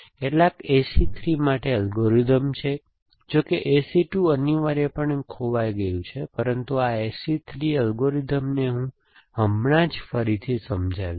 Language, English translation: Gujarati, So, there are algorithms for some AC 3, there is no, there is A C 2 is missing lost essentially, but this A C D 3 algorithm ,what I will just refreeze describe